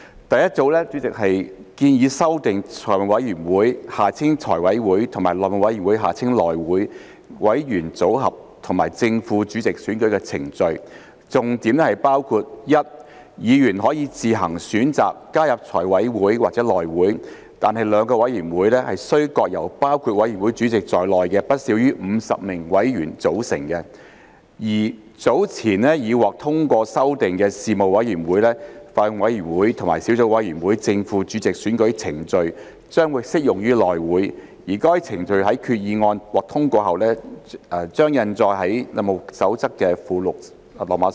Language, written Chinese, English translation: Cantonese, 第一組的修訂建議修訂財務委員會和內會委員組合和正副主席選舉程序，重點包括 ：a 議員可以自行選擇加入財委會或內會，但兩個委員會須各由包括委員會主席在內的不少於50名委員組成；及 b 早前已獲通過修訂的事務委員會、法案委員會和小組委員會的正副主席選舉程序將適用於內會，該程序在決議案獲通過後將印載於《內務守則》附錄 IV。, The first group of amendments is proposed to amend the membership and procedures for election of the chairman and deputy chairman of the Finance Committee FC and HC . The key points include a members are given the choice as to whether to join FC or HC but the two committees should each consist of not less than 50 members including the chairman; and b the election procedures for the chairman and deputy chairman of Panels Bills Committees and subcommittees to which amendments were endorsed earlier will apply to HC and will be set out in Appendix IV to HR after the passage of the resolution